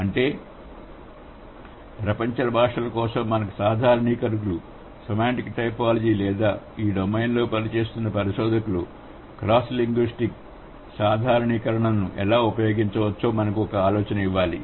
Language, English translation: Telugu, That means the generalizations that we have had for world's languages, semantic typology should also help us to come up or should or the researchers who are working in this domain, they should give us an idea how cross linguistic generalization can be drawn